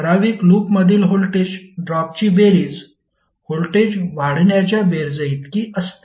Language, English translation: Marathi, That sum of the voltage drops in a particular loop is equal to sum of the voltage rises